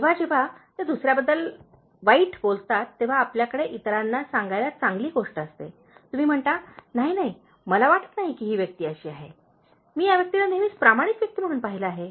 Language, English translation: Marathi, Whenever, they say something bad about the other person, you have a good thing to tell, you say no, no, I don’t think this person is like that, I have seen this person always as a very honest person